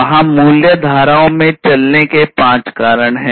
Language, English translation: Hindi, So, there are five steps of walk in the value streams